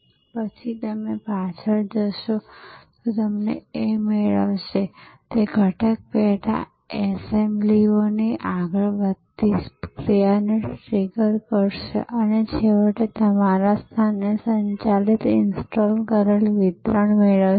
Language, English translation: Gujarati, And then, it will go backward and it will fetch, it will trigger a forward moving action of component sub assemblies all coming together and finally, getting delivered installed operated at your place